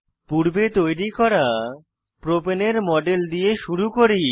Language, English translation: Bengali, Lets begin with the model of Propane, which we had created earlier